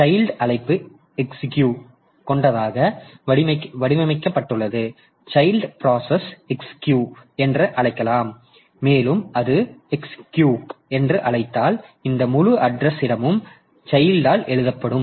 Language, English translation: Tamil, So, the child process can call exec also and if it calls exec then this entire address space gets overwritten by the child